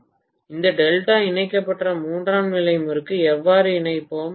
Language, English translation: Tamil, How will we connect this delta connected tertiary winding